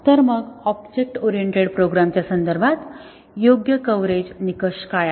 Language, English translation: Marathi, So, then what is an appropriate coverage criterion in the context of object oriented programs